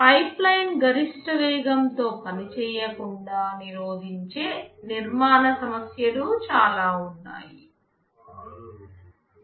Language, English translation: Telugu, There are a lot of architectural issues that can prevent the pipeline from operating at its maximum speed